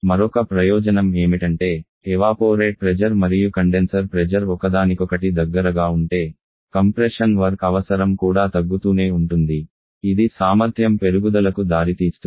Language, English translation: Telugu, And another advantages that if the evaporate pressure and condenser pressure is close to each other then the compression what requirement that also keep on coming down leading to an increase in the efficiency